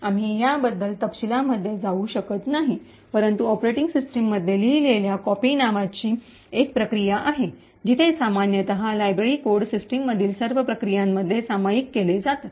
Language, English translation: Marathi, We will not go into the details about this but in operating systems there is a process called copy on write, where typically library codes are all shared between all processes in the system